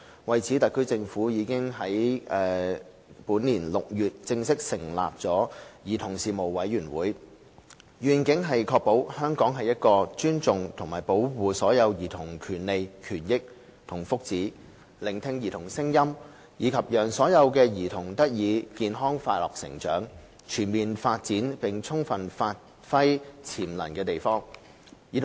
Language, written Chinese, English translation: Cantonese, 為此，特區政府已於本年6月正式成立兒童事務委員會，願景是確保香港是一個尊重及保障所有兒童權利、權益和福祉、聆聽兒童聲音，以及讓所有兒童得以健康快樂成長，全面發展並充分發揮潛能的地方。, In this connection the Special Administration Region SAR Government formally established the Commission on Children in June this year with a vision of ensuring that Hong Kong is a place where the rights interests and well - being of all children are respected and safeguarded and their voices are heard and where all children enjoy healthy and happy growth and optimal development so as to achieve their fullest potential